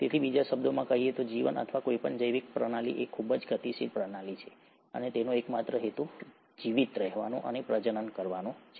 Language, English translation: Gujarati, So in other words, life or any biological system is a very highly dynamic system, and it has it's sole purpose of surviving and reproducing